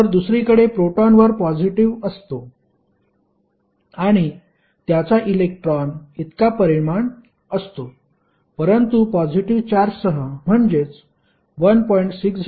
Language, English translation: Marathi, Now, proton is on the other hand positively charged and it will have the same magnitude as of electron but that is plus sign with 1